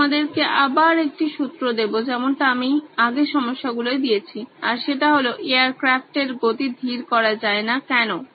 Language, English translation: Bengali, I will give you a hint again like I did for the earlier problem is that the speed of the air craft cannot be slowed down, why